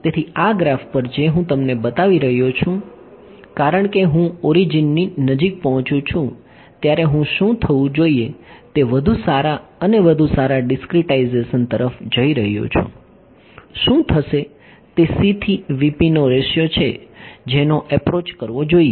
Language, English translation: Gujarati, So, on this graph that I am showing you as I approach the origin as I go to finer and finer discretizations what should happen; the what will happen is the ratio of vp to c it should approach